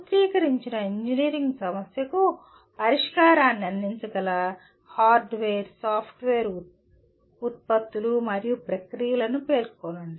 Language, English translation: Telugu, Specify the hardware, software, products and processes that can produce the solution to the formulated engineering problem